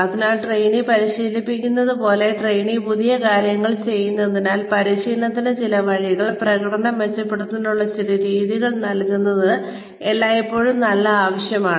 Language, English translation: Malayalam, So, as the trainee is practicing, as the trainee is doing new things, it is always a good idea, to give the trainee, some ways, some method to improve upon the performance